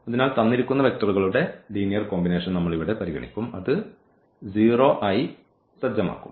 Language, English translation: Malayalam, So, we will consider this linear combination here and that will be set to 0